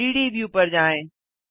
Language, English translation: Hindi, Go to the 3D view